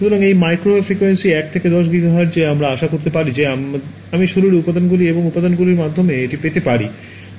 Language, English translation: Bengali, So, microwave frequencies in this 1 to 10 gigahertz we can hope that I can get through and through pictures of the body and components are cheap ok